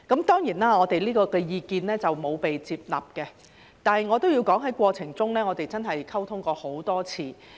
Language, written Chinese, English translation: Cantonese, 當然，我們這項意見沒有獲接納，但我也要說在過程中，我們真是溝通過很多次。, Certainly this proposal of ours has not been accepted but I have to say that we honestly had a lot of communication in the process